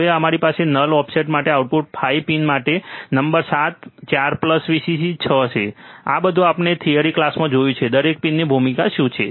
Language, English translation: Gujarati, Then we have pin number 7 4 plus Vcc 6 for output 5 for offset null, this everything we have seen in the theory class, right what is the role of each pin